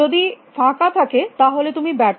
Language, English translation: Bengali, If it is empty then it will turn failure